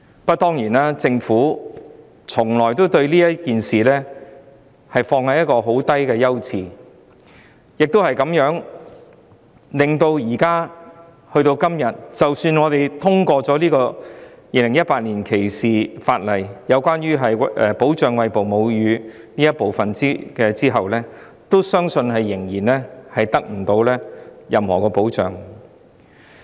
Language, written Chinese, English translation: Cantonese, 不過，政府把這事宜放在一個十分低的優次，以致今天即使我們通過《條例草案》中有關保障餵哺母乳婦女的修訂，相信餵哺母乳的婦女仍然得不到任何保障。, As the Government has accorded a very low priority to breastfeeding even if the Bill is passed today with amendments made to protect breastfeeding women I believe that breastfeeding women still cannot get any protection